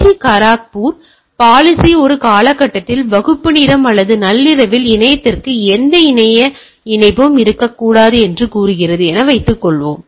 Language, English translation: Tamil, Like I will give you one example, suppose IIT Kharagpur policy says that during a time period say, class hours or at mid night, there should not be any internet connection from the hall to internet, right